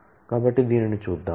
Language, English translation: Telugu, So, let us look at this